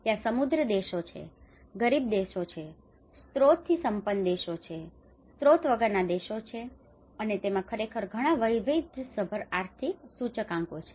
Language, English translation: Gujarati, There are rich countries, there are poor countries, there are resourceful countries, the resourceless countries and that have actually as a very diverse economic indicators into it